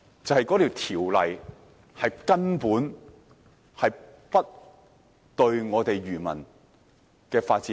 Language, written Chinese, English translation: Cantonese, 就是由於法例根本不能保障漁業的發展。, The reason is that the legislation has utterly failed to protect the development of the fisheries industry